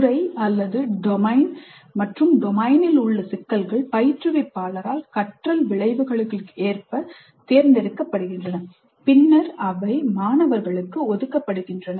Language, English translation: Tamil, The domain as well as the problems in the domain are selected by the instructor in accordance with the intended learning outcomes and are then typically assigned to the students